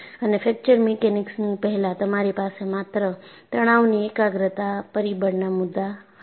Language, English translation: Gujarati, And before fracture mechanics, you had only the concept of stress concentration factor